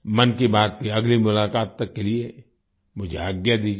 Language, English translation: Hindi, I take leave of you till the next episode of 'Mann Ki Baat'